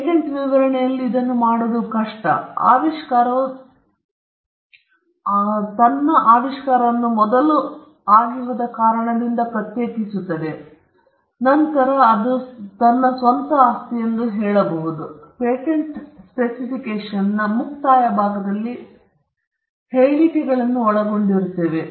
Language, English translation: Kannada, All this is done in the patent specification, and after the inventor distinguishes his invention from what has gone before, he claims as something to be his own property; that is what it is contained, as I said, in the concluding part of the patent specification, what we call the claims